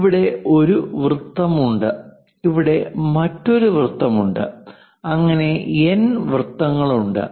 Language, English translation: Malayalam, There is a circle there is another circle there is another circle and so, on